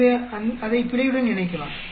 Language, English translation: Tamil, So, we can combine that with the error